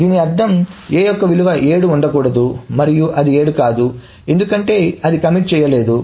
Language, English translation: Telugu, So that means the value of A should not be 7 and it is not 7 because it has not committed